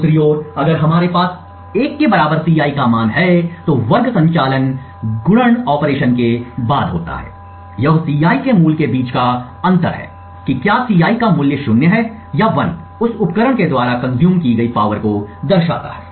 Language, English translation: Hindi, On the other hand if we have a value of Ci to be equal to 1, then the square operation is followed by the multiplication operation, this difference between a value of Ci whether the value of Ci is 0 or 1 shows up in the power consumed by that device